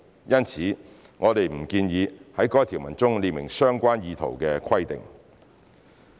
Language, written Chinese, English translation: Cantonese, 因此，我們不建議在該條文中列明相關意圖的規定。, The Administration does not therefore propose to specify the relevant intent in the provision